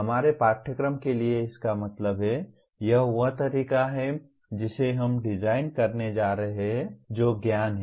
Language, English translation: Hindi, That means for our course, this is the way we are going to design what is knowledge